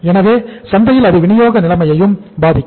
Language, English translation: Tamil, So that also affects the supply position in the market